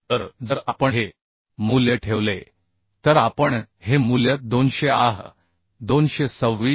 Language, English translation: Marathi, 8 So if we put this value we can find out this value as 226